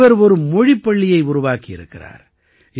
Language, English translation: Tamil, He has undertaken the task of setting up a language school